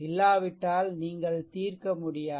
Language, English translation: Tamil, Otherwise you cannot solve, right